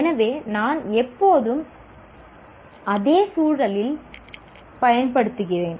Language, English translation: Tamil, So I need to, I'm always using that in the same context